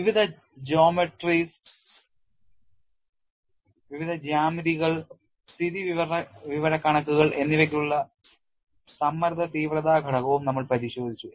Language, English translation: Malayalam, And we have also looked at stress intensity factor for various geometries the insights